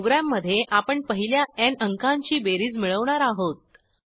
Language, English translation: Marathi, In this program, we will calculate the sum of first n numbers